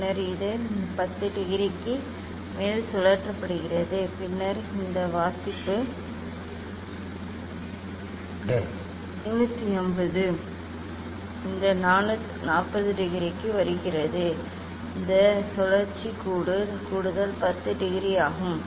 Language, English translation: Tamil, And then it is rotated more 10 degree then this reading is coming 350 this 40 degree and this is this rotation is extra 10 degree